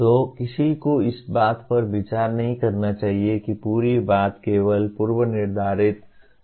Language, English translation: Hindi, So one should not consider the entire thing is limited to only pre defined outcomes